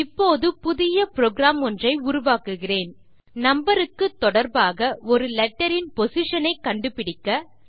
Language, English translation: Tamil, Now Im going to create a new program to find out the position of a letter in relation to its number